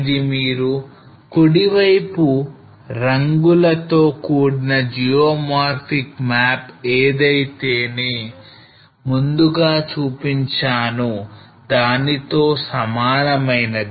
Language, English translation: Telugu, This is same map which you are seeing on the right colored map of geomorphic map which I was showing earlier